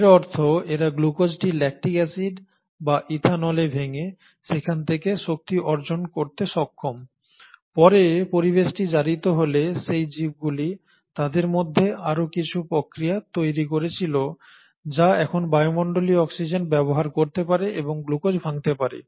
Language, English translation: Bengali, That means these guys are able to still obtain energy from glucose by breaking it down, glucose into lactic acid or ethanol, while those organisms which later ones the environment became oxidised they should have developed some more mechanism to now utilise that atmospheric oxygen and still break down glucose